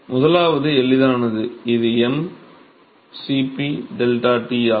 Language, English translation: Tamil, So, first one is easy, it is m Cp deltaT